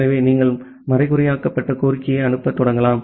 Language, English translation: Tamil, So, you can start sending the encrypted request